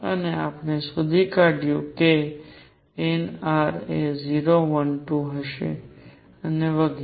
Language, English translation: Gujarati, And we have found that nr will be 0 1 2 and so on